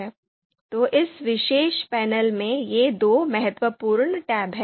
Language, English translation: Hindi, So these are two important you know tabs in this particular panel